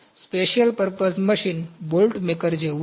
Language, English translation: Gujarati, Special purpose machine is like bolt maker